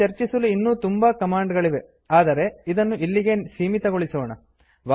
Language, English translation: Kannada, There are several other commands that we could have discussed but we would keep it to this for now